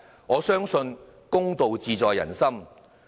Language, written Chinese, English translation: Cantonese, 我相信公道自在人心。, I believe that justice lies in the hearts of the people